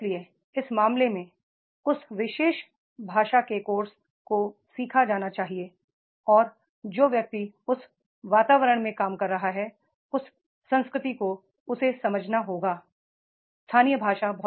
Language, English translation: Hindi, So, therefore in that case, that particular language course that has to be learned and the person who is working in that environment, that culture, he has to understand the local language